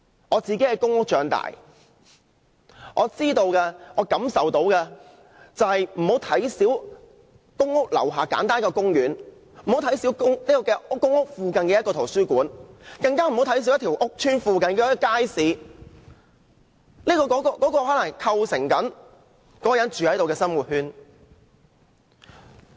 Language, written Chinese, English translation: Cantonese, 我在公屋長大，我認為大家不要小看公屋樓下那個簡單的公園，也不要小看公屋附近的圖書館，更不要小看屋邨附近的街市，全部都可能構成了當地居民的生活圈。, I grew up in a public rental housing estate . Members should not belittle the importance of a simple park a library or a market in the estate because all these facilities help to form the living circle of the local residents